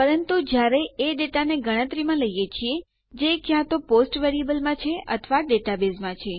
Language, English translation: Gujarati, But when we are taking into account data that we are either having in post variables or are contained in the data base,..